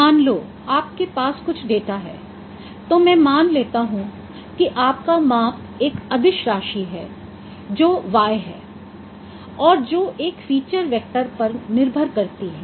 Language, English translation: Hindi, Let me consider your measurement is a scalar quantity which is y and which depends upon a feature vector